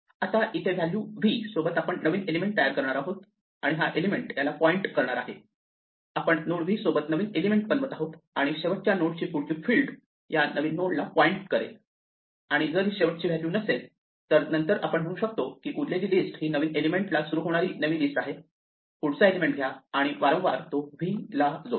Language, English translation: Marathi, Now, we create a new element here with the value v and we make this element point to this, we create a new element with the node v and set the next field of the last node to point to the new node and if this is not the last value then well we can just recursively say to the rest of the list treat this as a new list starting at the next element, take the next element and recursively append v to that